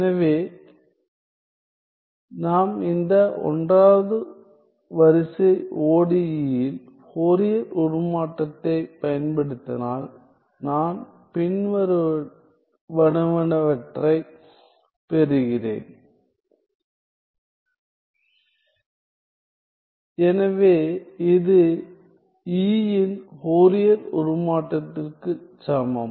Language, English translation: Tamil, So, once we apply the Fourier transform to this 1st order ODE I get the following I get that this is also equal to